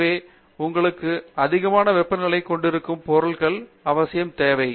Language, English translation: Tamil, So, you need materials for which can stand extremely high temperatures